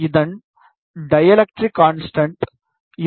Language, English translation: Tamil, Its dielectric constant is 2